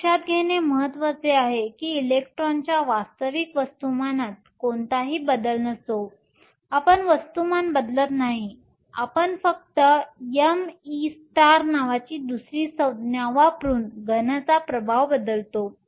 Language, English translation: Marathi, It is important to note that there is no change in the actual mass of the electron; right we are not changing the mass, we only replacing the effect of the solid by using another term called m e star